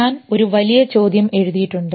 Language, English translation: Malayalam, I have written biggest a bigger question